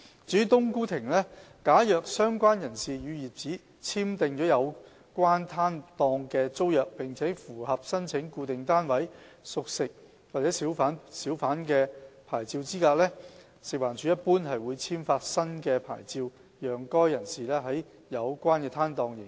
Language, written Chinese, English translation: Cantonese, 至於"冬菇亭"，假如相關人士與業主簽訂了有關攤檔的租約並符合申請固定攤位小販牌照資格，食環署一般會簽發新的牌照給該人士在有關攤檔營業。, As regards a cooked food kiosk if the person concerned has signed a tenancy agreement in respect of the stall with the owner and is eligible for applying for a Fixed - Pitch Hawker Licence in general FEHD will issue a new licence to that person to operate at the relevant stall